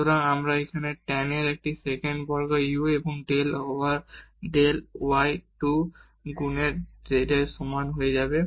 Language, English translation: Bengali, So, we have your tan will become a sec square u and del u over del y is equal to 2 times z